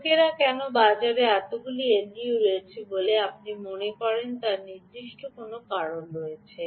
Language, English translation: Bengali, why do you think people have so many l d o's in the market